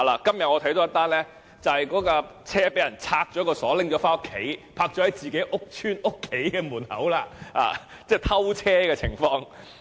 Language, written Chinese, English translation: Cantonese, 今天我看到一宗新聞，就是單車被人拆鎖拿回家，泊在自己的家門外，即是有偷車的情況。, Today I read a news story about a bicycle having had its lock removed and was parked outside the home of its user meaning it was stolen